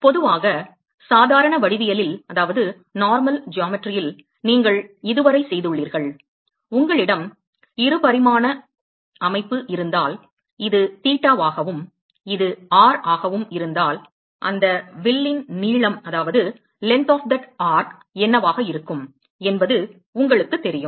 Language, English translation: Tamil, So typically in normal geometry that you have done so far so supposing if you have a 2 dimensional of system, and if this is theta, and this is r, you know what is going to be the length of that arc right